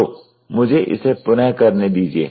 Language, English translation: Hindi, So, let me redo it